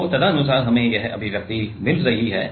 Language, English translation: Hindi, So, accordingly we are getting this expression